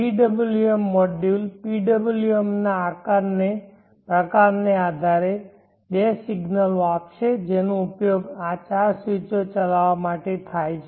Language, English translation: Gujarati, The PWM module will give two signals depending upon the type of the PWM which will be used for driving these four switches